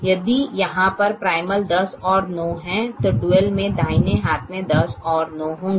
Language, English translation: Hindi, if the primal has ten and nine, here the duel will have ten and nine in the right hand side